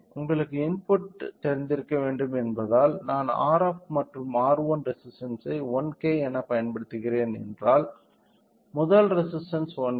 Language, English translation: Tamil, So, since we require you know input I am using R f as well as R 1 resistance as 1K the first resistance if I see it is 1 1K